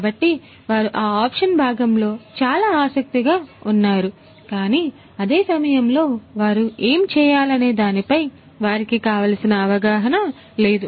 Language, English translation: Telugu, So, they are very keen on that option part, but they at the same time they do not have good understanding about what needs to be done